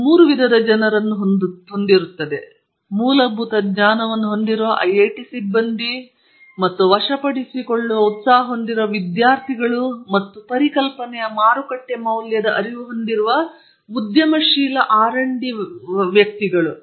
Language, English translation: Kannada, You have three types of people: the students who have a spirit to conquer and IIT faculty who have a sound knowledge of fundamentals, and R and D personal from the industry who have an awareness of the market value of an idea